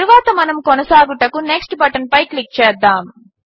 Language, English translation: Telugu, Now let us click on the Next button to proceed